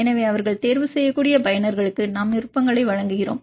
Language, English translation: Tamil, So, we give options to the users they can choose